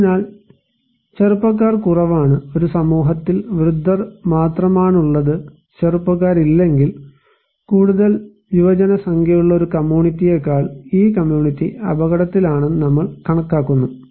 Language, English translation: Malayalam, And so, young people is less so, if a community is comprised by only old people, no young people, then we consider that this community is at risk than a community which has more younger population